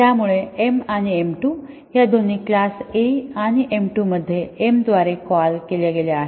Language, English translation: Marathi, So, both m and m 2 are defined in class A and m 2 is called by m